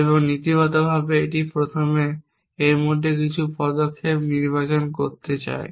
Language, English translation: Bengali, So, in principle off course this allows to first select some action in between